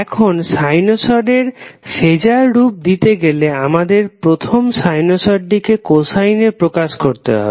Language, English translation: Bengali, Now, to get the phaser corresponding to sinusoid, what we do, we first express the sinusoid in the form of cosine form